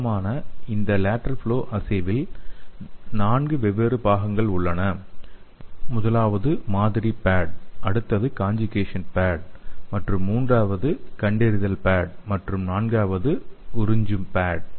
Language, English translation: Tamil, so usually this lateral flow assay have 4 different parts the first one is sample pad the next one is conjugation pad and 3rd one is detection pad and 4th one is absorbent pad